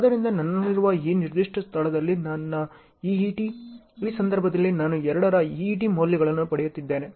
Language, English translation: Kannada, So, my EET at this particular place I have, I am getting an EET value of 2 at this linkage